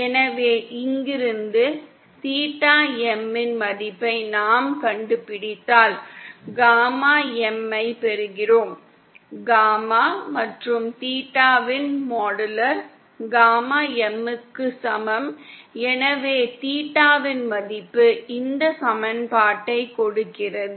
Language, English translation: Tamil, So from here we can find out the value of theta M for which we get gamma M for which modular’s of gamma and theta is equal to gamma M, so that value of theta is giving this equation is found out now